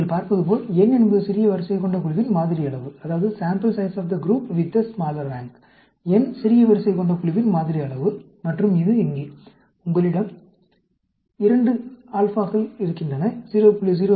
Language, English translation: Tamil, This is the table, as you can see, n is the sample size of the group with the smaller rank; n is the sample size of the group with the smaller rank; and this here, you have the 2 alphas, the 0